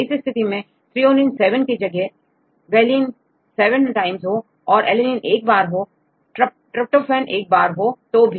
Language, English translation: Hindi, Even in this case, if it is instead of threonine 7 if it is valine 7 times and also alanine one tryptophan one